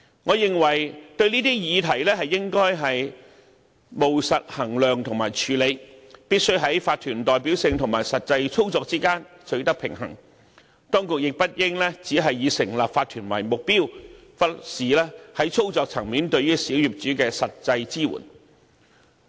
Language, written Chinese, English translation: Cantonese, 我認為對這些議題應務實衡量和處理，必須在法團的代表性和實際操作之間取得平衡，當局亦不應只是以成立法團為目標，而忽視在操作層面對小業主的實際支援。, In my view these issues should be gauged and handled pragmatically . A balance must be struck between the OC representation and the actual operation . The authorities should not only aim at setting up OCs while ignoring the provision of actual assistance to small property owners at the operation level